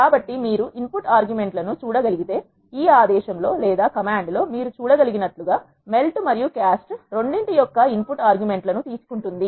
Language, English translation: Telugu, So, if you can see these input arguments, it takes the input arguments of both melt and cast as you can see in this command here